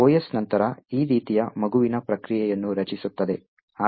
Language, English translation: Kannada, The OS would then create a child process like this